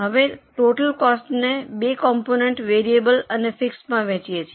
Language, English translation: Gujarati, Now we divide this total cost into two components, variable and fixed